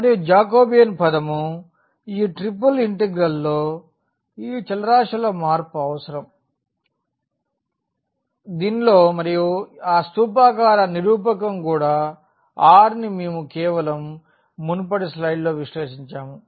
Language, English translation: Telugu, And, also the Jacobian term which will be requiring for this change of variable of this triple integral and that is in cylindrical co ordinate that is also r we have just evaluated in the previous slide